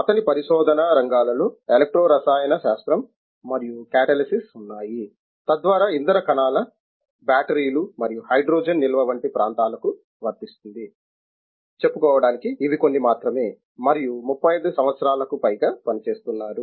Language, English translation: Telugu, His areas of research include electro chemistry and catalysis so that covers areas such as fuel cells batteries and hydrogen storage, just to name of few and over 35 years